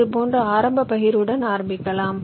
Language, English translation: Tamil, lets start with an initial partition like this